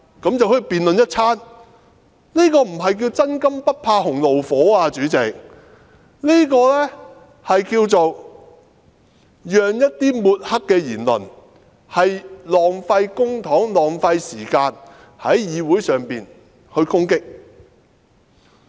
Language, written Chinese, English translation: Cantonese, 主席，這不是"真金不怕洪爐火"，而是讓一些抹黑的言論，浪費公帑、浪費時間在議會上攻擊議員。, President this is not what a person of integrity can stand severe tests means . Instead this is tantamount to allowing public money and time to be wasted on Council meetings where some defamatory comments are made against Members